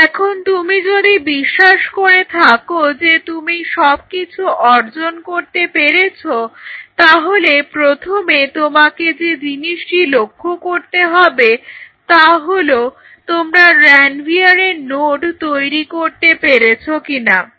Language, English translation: Bengali, So, now, when you achieve if you believe you have achieved it first thing you have to see whether you could make or form a node of Ranvier or not